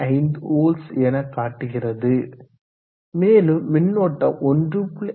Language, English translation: Tamil, 5 volts and the current is close to 1